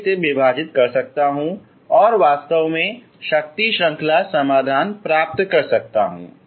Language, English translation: Hindi, I can divide it I can actually get the power series solution